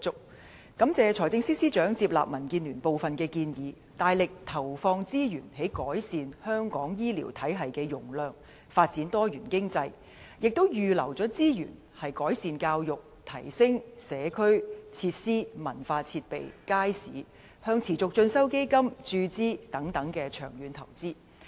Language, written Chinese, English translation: Cantonese, 民建聯感謝財政司司長接納我們的部分建議，大力投放資源增加香港醫療體系的容量和發展多元經濟，並且預留資源，在改善教育、提升社區設施、文化設備和街市，以及向持續進修基金注資等方面作出長遠投資。, DAB thanks the Financial Secretary for taking on board some of our suggestions to invest heavily in expanding the capacity of the local health care system and developing diversified economy as well as setting aside resources for long - term investment in areas such as education enhancement upgrading of community cultural and market facilities and injection into the Continuing Education Fund CEF